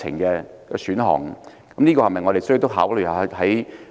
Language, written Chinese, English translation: Cantonese, 我們是否也需要考慮這一點？, Do we have to consider this point?